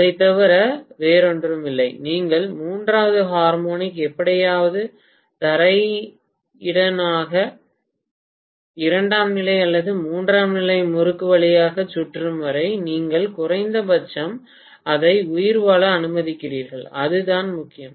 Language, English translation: Tamil, Nothing more than that, so as long as you have the third harmonic circulating somehow maybe through the ground, maybe through the secondary or tertiary winding, you are at least allowing it to survive, that is all that matters